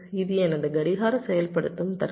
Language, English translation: Tamil, so this is my clock activation logic